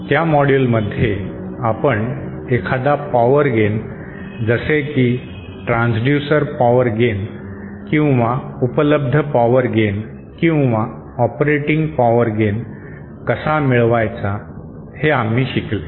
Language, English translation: Marathi, In those modules, we covered how to achieve a particular gain whether it is a transducer power gain or available power gain or operating power gain